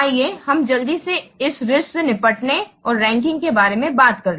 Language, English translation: Hindi, Let's quickly say about this risk handling and ranking